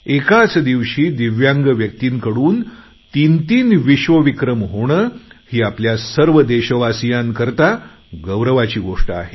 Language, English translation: Marathi, Three world records in a single day by DIVYANG people is a matter of great pride for our countrymen